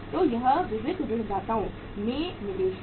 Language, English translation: Hindi, So this is the investment in the sundry debtors